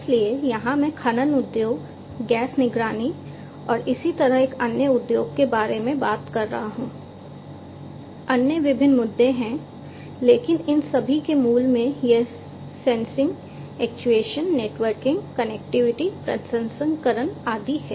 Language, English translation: Hindi, So, here I am talking about mining industry, gas monitoring and so on for another industry there are different other issues, but at the core of all of these it is about sensing, actuation, networking, connectivity, processing and so on